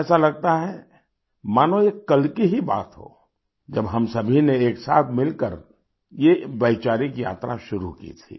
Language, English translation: Hindi, It seems like just yesterday when we had embarked upon this journey of thoughts and ideas